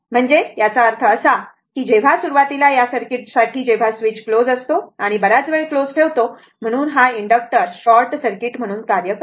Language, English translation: Marathi, So that means, I told you initially for this circuit when switch is your what you call for this circuit, when switch is closed and placed it for a long time, so inductor acts as a short circuit